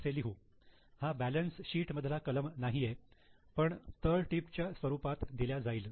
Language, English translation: Marathi, This is not a balance sheet item, it just comes as a footnote